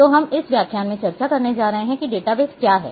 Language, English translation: Hindi, So, what we are going to discuss in this lecture is what is database